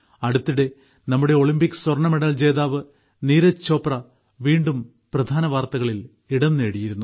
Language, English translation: Malayalam, Recently, our Olympic gold medalist Neeraj Chopra was again in the headlines